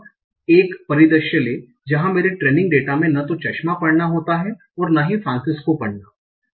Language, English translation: Hindi, Now take a scenario where reading glasses does not occur in my training data and reading Francisco also does not occur in my training data